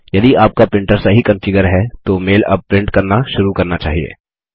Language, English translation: Hindi, If your printer is configured correctly, the mail must start printing now